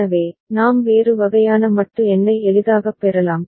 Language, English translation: Tamil, So, we can get a different kind of modulo number easily